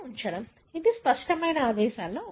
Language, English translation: Telugu, That is one of the clear mandate